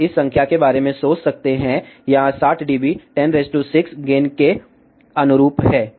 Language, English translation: Hindi, You can think about this number here 60 dB corresponding to 1 million gain